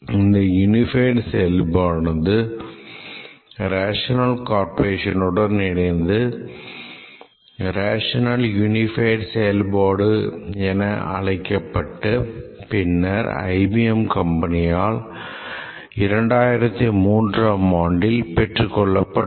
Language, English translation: Tamil, The unified process tailored by the rational corporation is called as a rational unified process and of course the rational corporation was acquired by IBM in 2003